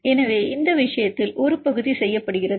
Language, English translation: Tamil, So, in this case one part is done